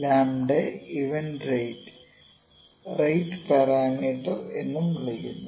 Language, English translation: Malayalam, The lambda is event rate also it is called the rate parameter